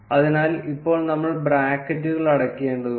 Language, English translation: Malayalam, So, now we need to close the brackets